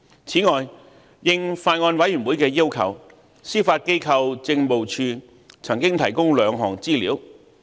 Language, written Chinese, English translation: Cantonese, 此外，應法案委員會的要求，司法機構政務處曾經提供兩項資料。, Moreover as requested by the Bills Committee the Judiciary Administration has provided two sets of information